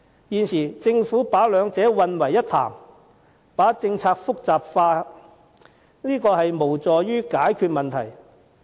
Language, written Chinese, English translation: Cantonese, 現時政府把兩者混為一談，把政策複雜化，無助於解決問題。, Now the Government treats the two kinds of payments as one and complicates the policy which is not conducive to solving the problem